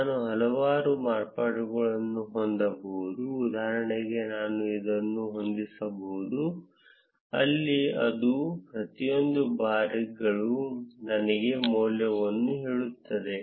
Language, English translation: Kannada, I can have several variations, for instance I can have this where it tells me the value at each of the bars